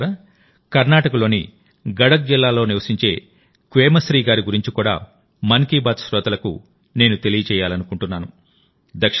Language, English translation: Telugu, Friends, I would also like to inform the listeners of 'Mann Ki Baat' about 'Quemashree' ji, who lives in Gadak district of Karnataka